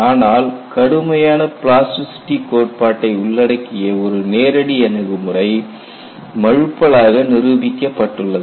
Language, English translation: Tamil, A direct approach, incorporating rigorous plasticity theory has proven elusive